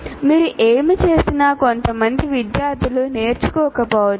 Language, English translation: Telugu, Some people, in spite of whatever you do, some students may not learn